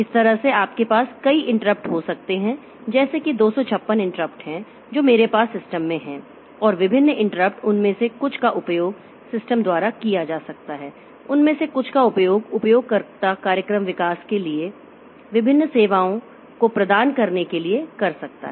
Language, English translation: Hindi, So, in this way you can have a number of interrupts like there are 256 interrupts that we have in the system and different interrupts may be some of them may be used by the system, some of them may be used by the user for providing different services for program development